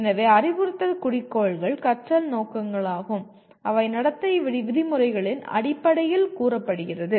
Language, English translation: Tamil, So instructional objectives are learning objectives if you want to call so are stated in terms of behavioral terms